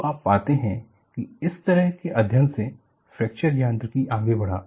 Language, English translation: Hindi, So, you find fracture mechanics grew from such a study